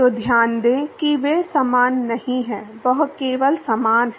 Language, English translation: Hindi, So, note that they are not same, it is only similar